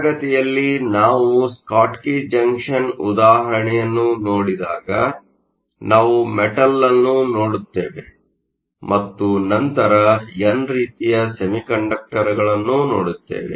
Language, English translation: Kannada, So, in class when we looked at the example of a Schottky junction, we look at a metal and then n type semiconductor